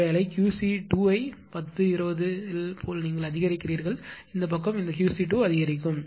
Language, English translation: Tamil, Service suppose Q c 2 in step 10 20 like this you go on increasing and this side this side will be your Q c 2 go on increasing